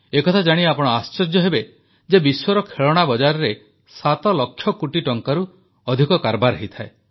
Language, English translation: Odia, You will be surprised to know that the Global Toy Industry is of more than 7 lakh crore rupees